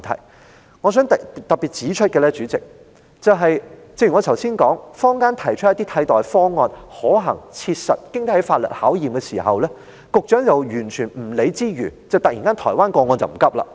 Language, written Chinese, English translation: Cantonese, 主席，我想特別指出，正如我剛才所說，坊間提出了可行、切實及經得起法律考驗的替代方案，但局長卻毫不理會，突然又好像不急於處理台灣個案一般。, Chairman I wish to highlight that as I have just said the community has put forward alternatives that are feasible practical and legally proven but the Secretary has ignored them and suddenly seems to be in no hurry to deal with the Taiwan case